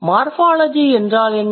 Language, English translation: Tamil, So, what is morphology